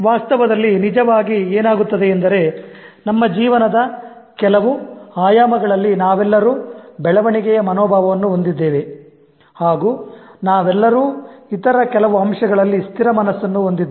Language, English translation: Kannada, What actually happens in reality is that we all have growth mindsets in certain aspects of our lives and we all also have fixed mindsets in certain other aspects